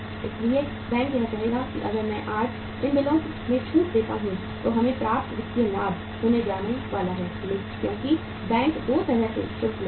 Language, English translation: Hindi, So bank would say that if I discount these bills today we are going to get sufficient financial benefit because bank charges in 2 ways